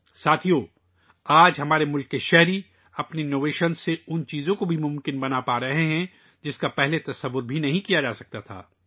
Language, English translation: Urdu, Friends, Today our countrymen are making things possible with their innovations, which could not even be imagined earlier